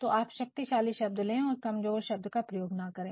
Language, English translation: Hindi, So, go for strong words, go for strong words do not use words which are very weak